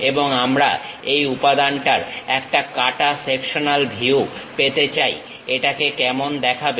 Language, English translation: Bengali, And we would like to have cut sectional view of this element, how it looks like